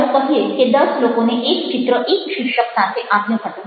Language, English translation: Gujarati, for when, lets say, that ten people were given an image with one title